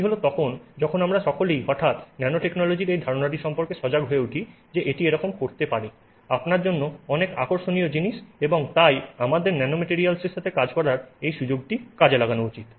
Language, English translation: Bengali, That's when we all became you know suddenly very alert to this idea of nanotechnology that it can do so many interesting things for you and then we should you know utilize this opportunity to work with nanomaterials